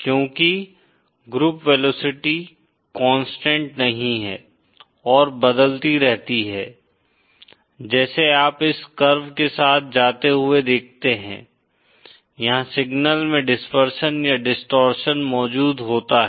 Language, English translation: Hindi, Because the group velocity is not constant and keeps changing as you go along this curve, there is dispersion or distortion present in the signal